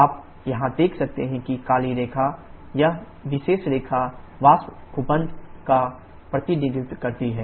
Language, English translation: Hindi, You can see here the black line; this particular line represents the vapour dome